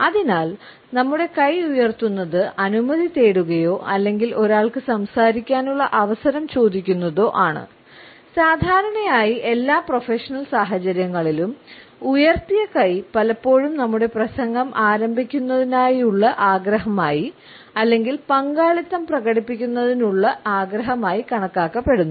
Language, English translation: Malayalam, Therefore, raising our hand has come to be known as seeking permission or getting once turned to his speak and normally we find that in almost all professional situations, a raised hand is often considered to be a desire to begin our speech or begin our participation